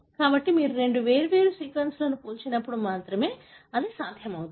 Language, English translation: Telugu, So, this is possible only when you compare two different sequences